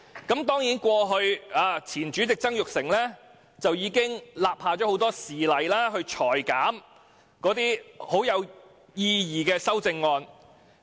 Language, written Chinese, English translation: Cantonese, 當然，前主席曾鈺成過去已立下多個先例，裁減有意義的修正案。, Former President Jasper TSANG had undoubtedly set many precedents by rejecting those meaningful amendments